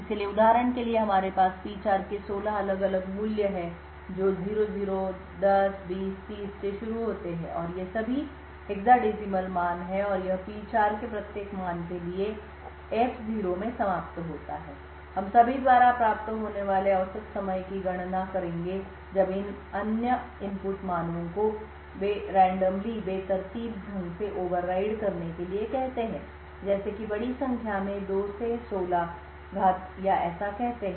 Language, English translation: Hindi, So for example we have 16 different values of P4 starting from 00, 10, 20, 30 all of these are hexadecimal values and it would end up in F0 for each value of P4 we would compute the average time that is obtained when all of the other input values are varied randomly for over like say a large number of times say 2^16 or so